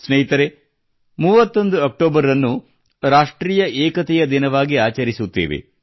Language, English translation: Kannada, Friends, we celebrate the 31st of October as National Unity Day